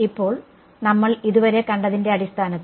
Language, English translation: Malayalam, Now, based on what we have seen so far